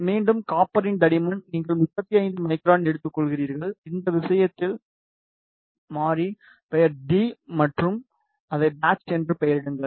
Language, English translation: Tamil, Again the thickness of copper you take 35 micron that is t in this case the variable name is t and name it as patch